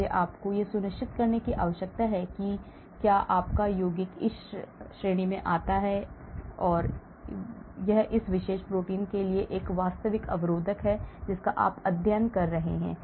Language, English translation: Hindi, so you need to be very sure that your compound does not fall under this category and it is a genuine inhibitor for a particular protein of which you are studying